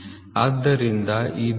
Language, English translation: Kannada, So, therefore H